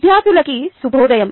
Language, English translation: Telugu, good morning students